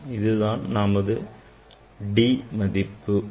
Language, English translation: Tamil, that will be the d